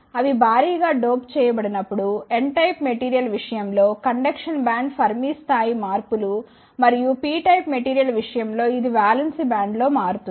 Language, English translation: Telugu, When they are heavily doped the Fermi level shifts in the conduction band in case of N type of material and it is shift in the valence band in case of P type of material